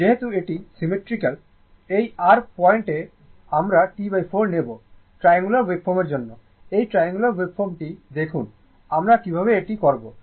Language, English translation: Bengali, As it is symmetrical about this your point T by 4 for the triangular wave form, look triangular waveform how we will do it right